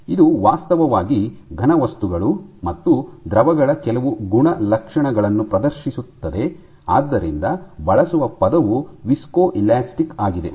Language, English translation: Kannada, So, it is a, it actually exhibits some characteristics of solids and liquids, and hence the term is used as viscoelastic